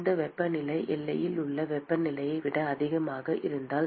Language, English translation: Tamil, if this temperature is higher than the temperature at the boundary